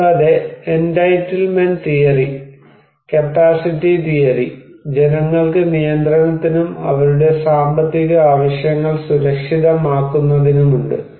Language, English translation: Malayalam, And also the entitlement theory, the capacity theory and that the people have for control and to get to secure the means of their economic needs